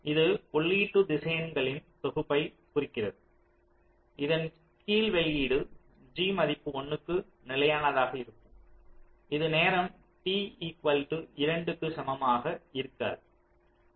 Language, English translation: Tamil, this denotes the set of input vectors under which the output, g gets stable to a value one no later than time, t equal to two